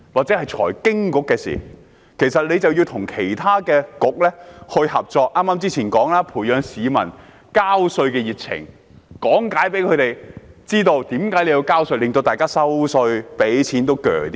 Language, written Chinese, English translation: Cantonese, 正如剛才所說，該局應與其他政策局合作，培養市民交稅的熱情，向他們講解為何要交稅，令大家繳稅也比較心甘情願。, As I said earlier the Financial Services and the Treasury Bureau should work with other Policy Bureaux to nurture peoples passion in paying tax explaining to them why they should pay tax so that they are more willing to pay tax